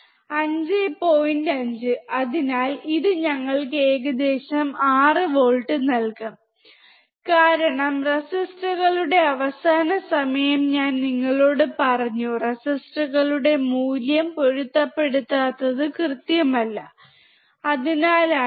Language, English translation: Malayalam, 5 so, it will give us approximately 6 volts, because I told you last time of the resistors mismatching the value of the resistors are not accurate, that is why